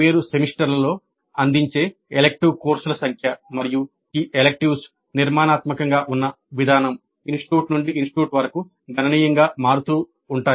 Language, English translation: Telugu, The number of elective courses offered in different semesters and the way these electives are structured vary considerably from institute to institute